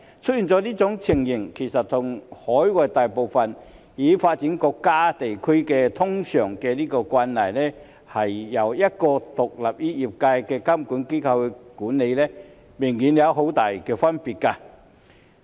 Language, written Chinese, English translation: Cantonese, 出現這種情況，其實和海外大部分已發展國家和地區通常由一個獨立於業界的監管機構監管明顯有很大的分別。, This situation is obviously very different from most developed countries and regions where the industry is usually under one regulatory body independent of the industry